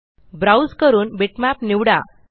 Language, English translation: Marathi, Browse and select a bitmap